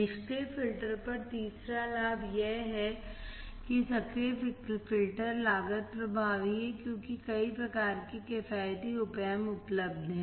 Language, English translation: Hindi, Third advantage over passive filter is, active filters are cost effective as wide variety of economical Op Amp are available